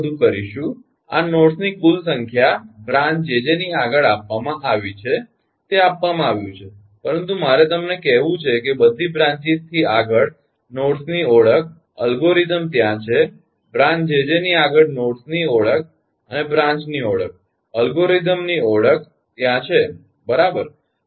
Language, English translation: Gujarati, is this: all this total number is given, nodes beyond one, jj is given, right, but let me tell you, identification of nodes beyond all branches algorithm is there, and we know the and the identification of branches beyond ah, branch jj, ah